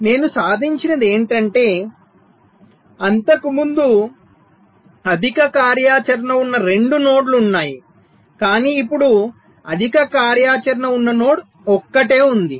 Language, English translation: Telugu, right, but what i have achieved is that earlier there are two nodes that were high activity, but now there is a single node which is high activity, right